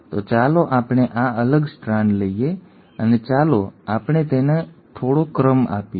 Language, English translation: Gujarati, So let us take this separated strand and let us let us give it some sequence